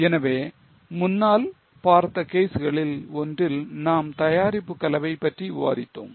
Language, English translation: Tamil, So, in one of the earlier cases we are discussed about product mix